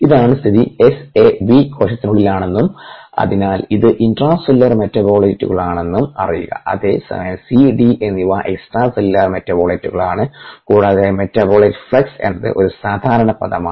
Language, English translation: Malayalam, a, b are inside the cell and therefore r intracellular metabolites, whereas s o, c and d are extra cellular metabolites and metabolite flux is common term that is used